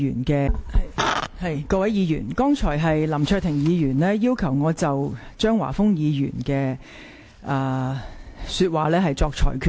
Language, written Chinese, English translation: Cantonese, 各位議員，剛才林卓廷議員要求我就張華峰議員的言論作出裁決。, Honourable Members Mr LAM Cheuk - ting earlier requested me to make a ruling on Mr Christopher CHEUNGs remarks